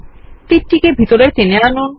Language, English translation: Bengali, Drag the arrow inwards